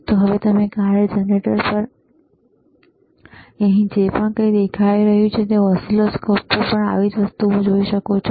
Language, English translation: Gujarati, So now, whatever is showing here on the function generator, you can also see similar thing on the oscilloscope